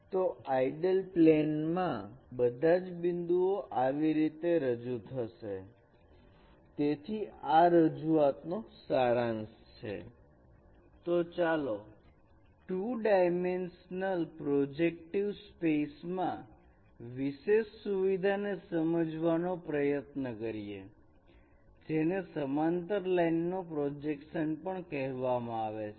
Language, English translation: Gujarati, Let us try to understand another particular feature in the two dimensional projective space that is called projection of parallel lines